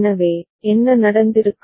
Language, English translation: Tamil, So, what would have been the case